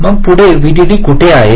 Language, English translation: Marathi, so where are the vdd